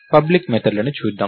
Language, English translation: Telugu, Lets look at the public methods